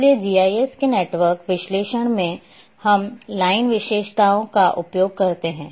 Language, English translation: Hindi, Therefore, in a in the network analysis of GIS we use the line features